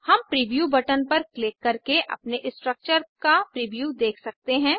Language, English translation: Hindi, We can see the preview of our structure by clicking on the Preview button